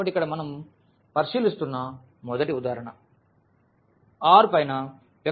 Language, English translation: Telugu, So, here the first example we are considering that is the vector space R n over R